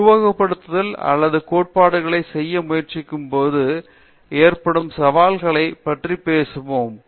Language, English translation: Tamil, So, let’s talk about the challenges with the theoretical people who try to do simulations or theory